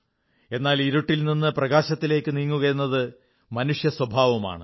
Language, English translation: Malayalam, But moving from darkness toward light is a human trait